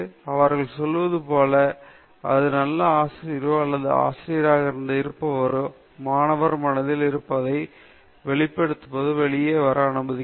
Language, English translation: Tamil, As they say, a good teacher is somebody, a teacher is one who figures out what is already there in the students mind and allows that to come out